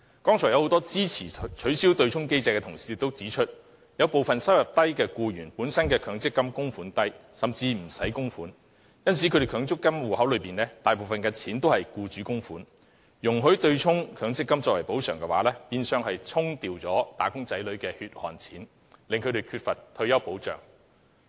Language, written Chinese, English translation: Cantonese, 剛才很多支持取消對沖機制的同事都指出，有部分低收入僱員本身的強積金供款額低，甚至不用供款，因此他們強積金戶口大部分是僱主供款，容許將強積金供款用作對沖，變相是令"打工仔女"失去他們的"血汗錢"，令他們缺乏退休保障。, Just now many Honourable colleagues supportive of the abolition of the offsetting mechanism pointed out that since the amounts of MPF contributions made by some low - income employees were very small with some of them being exempted from making contributions their MPF contributions were mostly made by the employers . As a result allowing MPF contributions to be used for offsetting purposes will in effect make wage earners lose their hard - earned money and deny them retirement protection